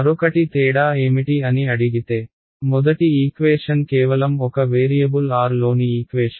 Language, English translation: Telugu, The other if ask you what is the difference the first equation is equation in only one variable r